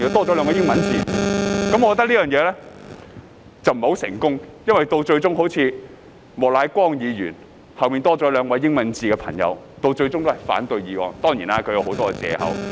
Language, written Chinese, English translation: Cantonese, 我認為這個方法不太成功，因為即使莫乃光議員的姓名後多了兩個英文字母，但他最終仍反對該議案。, I do not think this approach worked very well because even though two alphabets have been added after Mr Charles Peter MOKs name he still opposed the motion eventually using a lot of excuses of course